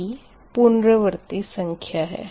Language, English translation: Hindi, p iteration count